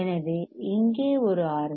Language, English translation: Tamil, So, one you see R 1